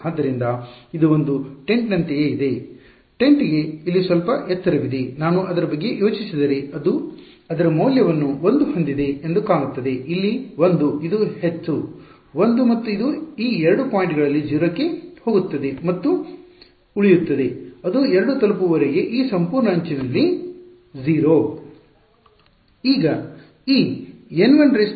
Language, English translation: Kannada, So, its like its like a tent, right the tent has some height over here if I think about it looks something like this right it has its value 1 over here this much is 1 and it goes to 0 at these 2 points and it stays 0 along this whole edge until that reaches 2 ok